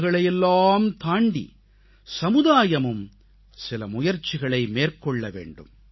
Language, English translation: Tamil, Beyond awards, there should be some more efforts from our society in acknowledging their contribution